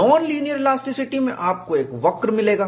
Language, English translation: Hindi, In linear elasticity, we know what is G